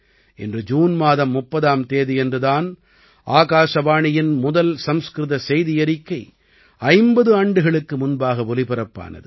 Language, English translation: Tamil, Today, on the 30th of June, the Sanskrit Bulletin of Akashvani is completing 50 years of its broadcast